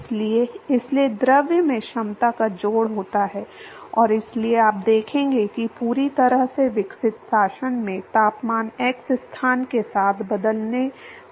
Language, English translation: Hindi, So, therefore, there is addition of capacity to the fluid and so you will see that the temperature is going to change with x location in the fully developed regime